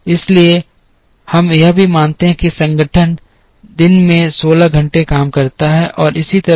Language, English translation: Hindi, Therefore, we also assume that the organization works for 16 hours a day and so on